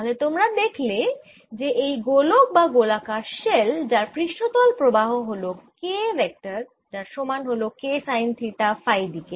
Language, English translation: Bengali, so you see, when i look at this sphere, a spherical shell that has current surface current k, going like k sine theta in phi direction